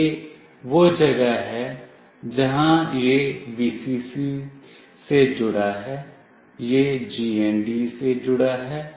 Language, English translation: Hindi, This is where it is connected to Vcc, this is connected to GND